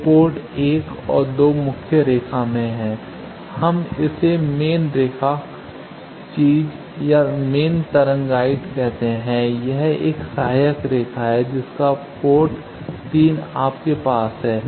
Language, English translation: Hindi, So, port 1 and 2 is in the main line, we call it main line thing or main wave guide, this is an auxiliary line you have port 3